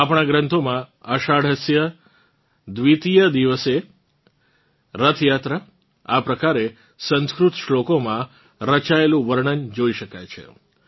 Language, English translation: Gujarati, In our texts 'Ashadhasya Dwitiya divase… Rath Yatra', this is how the description is found in Sanskrit shlokas